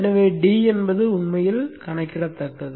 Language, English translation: Tamil, So d is actually calculatable